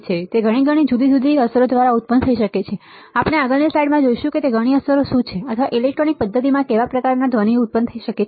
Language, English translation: Gujarati, And it can be produced by several different effects right which we will see in the next slide its what are the several effects or what are kind of noise that can arise in a electronic system